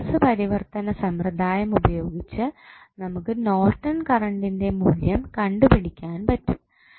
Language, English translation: Malayalam, We can utilize our source transformation technique and then we can find out the values of Norton's current